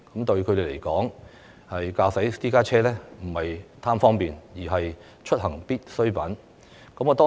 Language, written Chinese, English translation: Cantonese, 對他們來說，駕駛私家車並非貪圖方便，而是出行所必需。, They drive private cars not for the sake of convenience but out of necessity